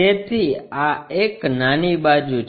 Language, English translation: Gujarati, So, the small side is this one